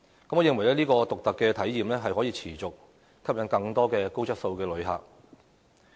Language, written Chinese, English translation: Cantonese, 我認為這種獨特的體驗，可以持續吸引更多高質素的旅客。, I think such unique experiences will attract more high quality visitors on a continuous basis